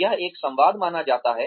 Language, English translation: Hindi, It is supposed to be a dialogue